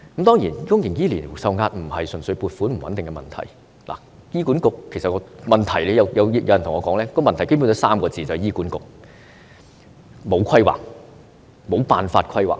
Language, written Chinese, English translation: Cantonese, 當然，公營醫療受壓並非純粹撥款不穩定的問題，也與醫管局本身的問題有關，就是醫管局缺乏規劃，無辦法規劃。, Of course the pressure on public healthcare is not purely stemmed from unstable funding but is also related to HA per se as HA is in lack of planning and is unable to plan well